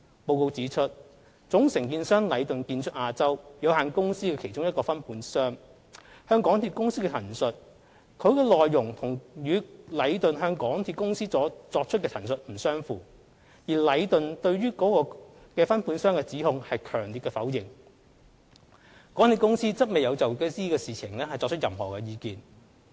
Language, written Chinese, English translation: Cantonese, 報告指出，總承建商禮頓的其中一個分判商向港鐵公司的陳述，其內容與禮頓向港鐵公司作出的陳述不相符，而禮頓對於該分判商的指控強烈否認，港鐵公司則未有就此事情提出任何意見。, The report states that the statements given by one of the subcontractors of Leighton the main contractor are not consistent with those given to MTRCL by Leighton . While Leighton has strenuously denied the allegations MTRCL did not express any opinion on this matter